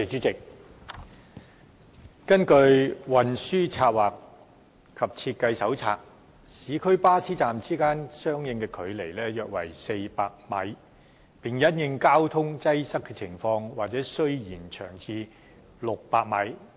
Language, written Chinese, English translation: Cantonese, 根據《運輸策劃及設計手冊》，市區巴士站之間應相距約400米，並因應交通擠塞情況或需延長至600米。, According to the Transport Planning and Design Manual the bus stop spacing in urban areas should be around 400 metres and it may need to be increased to 600 metres in the light of traffic congestions